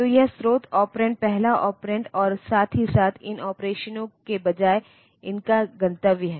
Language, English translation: Hindi, So, it is the source operand, the first operand, and as well as the destination of these instead of these operations